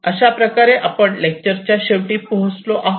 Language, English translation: Marathi, so with this we come to the end of this lecture, thank you